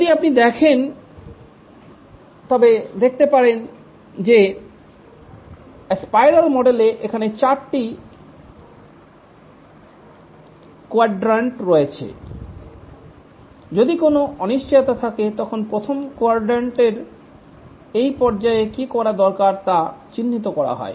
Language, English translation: Bengali, If you can see there are four quadrants here on the spiral model, the first quadrant, what needs to be done in that phase is identified